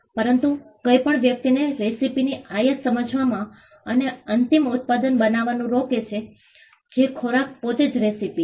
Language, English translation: Gujarati, But nothing stops a person from understanding the import of the recipe and creating the end product which is the food itself the recipe itself on their own